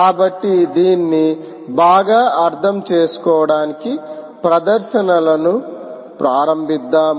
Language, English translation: Telugu, all right, so to understand this better, lets start the demonstrations